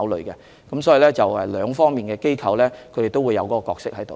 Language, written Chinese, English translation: Cantonese, 因此，兩方面的機構都會有角色參與。, Therefore institutions involved in the two aspects will have their own roles to play